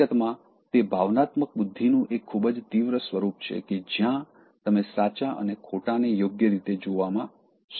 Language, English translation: Gujarati, In fact, it is a very heightened form of emotional intelligence, where you are able to see right correctly and wrong correctly